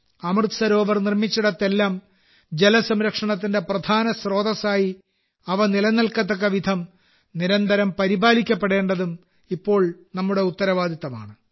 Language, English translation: Malayalam, Now it is also our responsibility to ensure that wherever 'AmritSarovar' have been built, they should be regularly looked after so that they remain the main source of water conservation